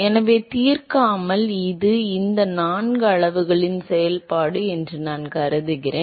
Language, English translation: Tamil, So, without solving I will simply assume that it is a function of these four quantities